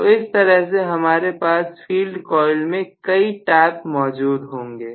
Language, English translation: Hindi, So, I can have multiple taps in the field coil